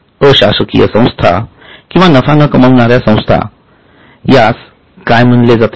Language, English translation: Marathi, In case of a NGO or a non profit organization, what it will be called